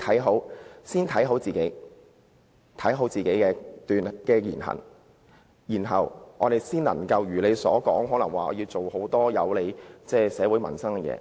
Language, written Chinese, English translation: Cantonese, 我們應先謹慎自己的言行，才能如他所說般做很多有利社會民生的事情。, We should first be cautious about our own words and deeds before we can do more good things for society in the way he has mentioned